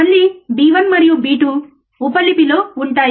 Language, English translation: Telugu, Again B b1 and b 2 would be in subscript